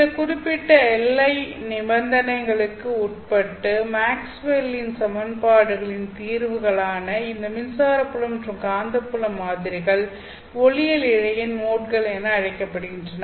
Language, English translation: Tamil, These electric field and magnetic field patterns which are the solutions of Maxwell's equations, you know, subject to certain boundary conditions that we are going to impose, are called as modes of an optical fiber